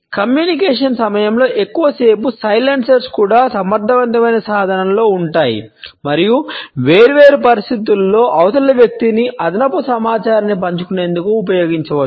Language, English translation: Telugu, Longer silencers during communication are also in effective tool and in different situations can be used to get the other person to share additional information